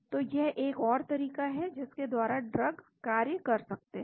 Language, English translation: Hindi, so that is another approach by which drugs can act